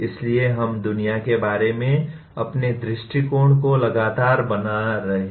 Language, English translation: Hindi, So we are continuously reconstructing our view of the world